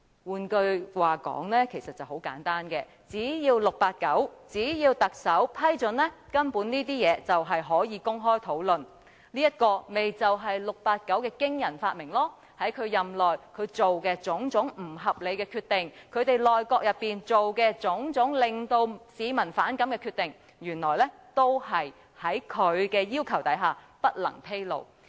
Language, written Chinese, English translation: Cantonese, 換句話說，很簡單，只要 "689" 特首批准，根本這些事情便可以公開討論，這便是 "689" 的驚人發明，在他任內作出的種種不合理決定，以及其內閣作出的種種令市民反感的決定，原來均在其要求下不能披露。, In other words it is very simple so long as 689 Chief Executive gives his approval these matters can basically be openly discussed . That was the startling invention by 689 . It turns out that the various unreasonable decisions made during his tenure and the various decisions made by his cabinet which arouse public resentment were barred from disclosure upon his request